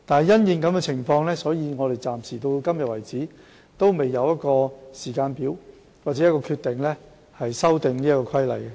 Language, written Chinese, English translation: Cantonese, 因應這個情況，直至今天為止，我們仍未有時間表或決定修訂《規例》。, As such we have yet to set a timetable or make a decision on the amendment of the Regulation . Appendix I